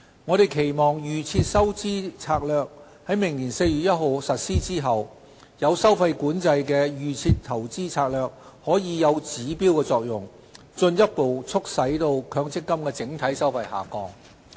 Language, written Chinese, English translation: Cantonese, 我們期望"預設投資策略"在明年4月1日實施後，有收費管制的"預設投資策略"可以有指標作用，進一步促使強積金整體收費下降。, Subsequent to the implementation of DIS on 1 April next year we expect the fee - controlled DIS to achieve a benchmarking effect and bring about further MPF fee reduction across the board